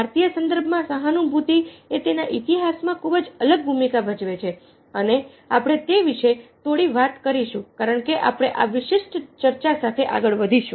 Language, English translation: Gujarati, empathy in the indian context has been a very distinct over and its history, and we will talk little about that as we proceed with this particular talk